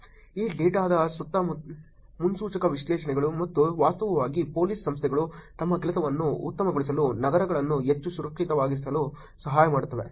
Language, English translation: Kannada, Predictive analytics around this data and actually helping Police Organizations make their job better, make cities more safer